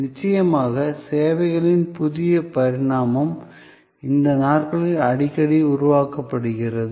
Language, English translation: Tamil, And of course, new dimension of services are often created these days